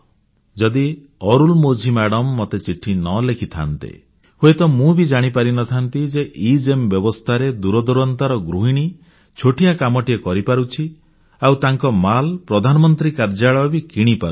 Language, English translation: Odia, Had Arulmozhi not written to me I wouldn't have realised that because of EGEM, a housewife living far away and running a small business can have the items on her inventory purchased directly by the Prime Minister's Office